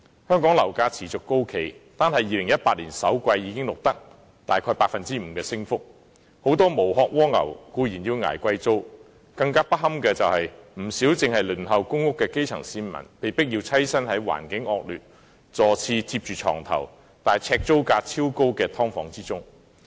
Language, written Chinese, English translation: Cantonese, 香港樓價持續高企，單是2018年首季已錄得約 5% 的升幅，很多"無殼蝸牛"固然要捱貴租，更不堪的是，不少正在輪候公屋的基層市民被迫棲身於環境惡劣、座廁貼着床頭，但呎租價超高的"劏房"之中。, Property prices in Hong Kong remain on the high side on a sustained basis with an increase of about 5 % in the first quarter of 2018 alone . While many snails without shells are burdened by expensive rent it is even more undesirable that many grass - roots people on the Waiting List of Public Rental Housing are forced to live in subdivided units where the environment is deplorable and the headboard is just next to the toilet bowl and yet the rent per square feet is exorbitantly high